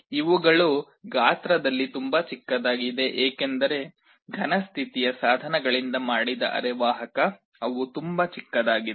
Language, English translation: Kannada, These are much smaller in size because the semiconductor made of solid state devices, they are very small